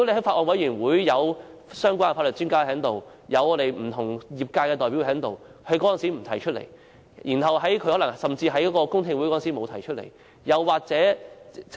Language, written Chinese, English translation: Cantonese, 法案委員會有相關的法律專家，也有不同業界的代表，為何他當時不提出其意見，甚至在公聽會上也沒有提出？, In the Bills Committee there are relevant legal experts and representatives from different sectors . Why did he not advance his views back then or at the public hearings?